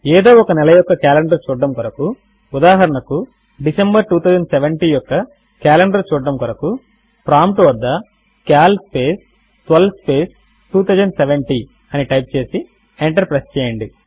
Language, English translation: Telugu, To see the calendar of any arbitrary month say december 2070 type at the prompt cal space 12 space 2070 and press enter